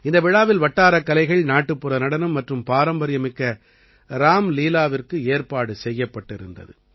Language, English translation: Tamil, Local art, folk dance and traditional Ramlila were organized in this festival